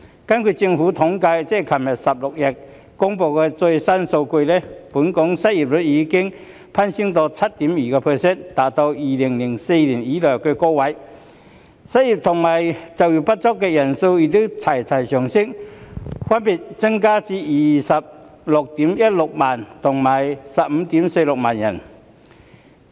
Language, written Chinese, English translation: Cantonese, 根據政府統計處3月16日公布的最新數據，本港失業率已攀升至 7.2%， 達到2004年以來的高位，失業及就業不足的人數亦一同上升，分別增至 261,600 人及 154,600 人。, According to the latest figures released by the Census and Statistics Department on 16 March the unemployment rate in Hong Kong has reached 7.2 % the highest since 2004 . The numbers of unemployed and underemployed persons have both increased to 261 600 and 154 600 respectively